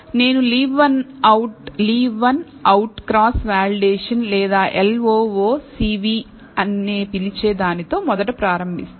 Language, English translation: Telugu, So, I will first start with, leave one out cross validation or what is called LOOCV